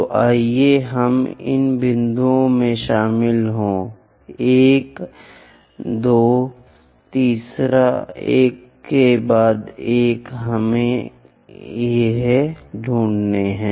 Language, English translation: Hindi, So, let us join these points 1st one, 2nd one, 3rd one to one somewhere we have lost